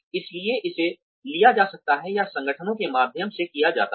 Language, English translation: Hindi, So, that can be taken over or that is done through the organizations